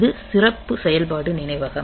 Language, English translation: Tamil, So, this special function memory